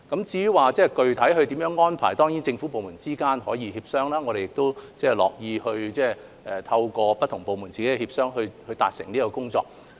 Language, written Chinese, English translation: Cantonese, 至於具體安排，政府部門之間當然可以協商，我們也樂見不同部門自己協商處理這項工作。, As for the specific arrangement government departments can certainly have negotiations over it and we are also pleased to see various departments engaging in negotiations to deal with this task